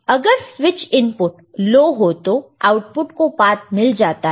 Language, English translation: Hindi, If switch is low input is low then the output gets a path